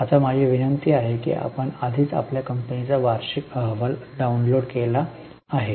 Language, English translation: Marathi, Now my request is you have already downloaded the annual report of your company